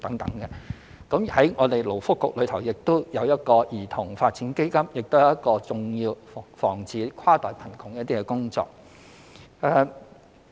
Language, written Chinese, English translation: Cantonese, 以勞工及福利局而言，兒童發展基金亦是一項重要的防止跨代貧窮工作。, In the case of the Labour and Welfare Bureau the setting up of the Child Development Fund is an essential initiative to prevent intergenerational poverty